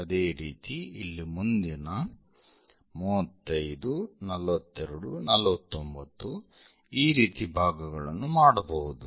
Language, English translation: Kannada, Similarly, here one can make 35 next 42, 49 and so on